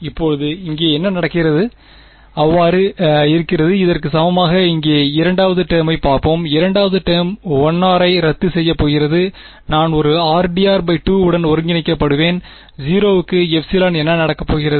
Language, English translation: Tamil, Now what happens over here is there are so, is equal to this let us let us look at the second term over here, second term is going to cancel of 1 r I will be left with a r d r by 2, r d r by 2 integrate 0 to epsilon what is going to happen